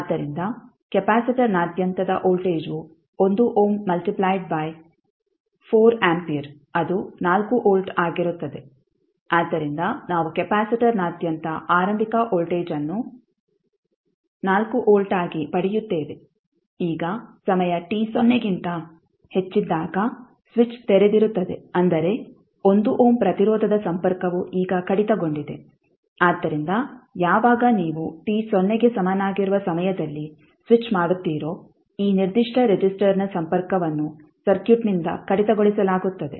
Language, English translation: Kannada, So the voltage across the capacitor will be 1 ohm multiply by 4 ampere that is 4 volt, so we get the initial voltage across capacitor is nothing but 4 volt, now when time t greater than 0 the switch is open that means the 1 ohm resistor is now disconnected so when you the switch at time t is equal to 0 this particular resistor will be disconnected from the circuit